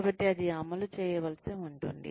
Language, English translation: Telugu, So, that may need to be enforced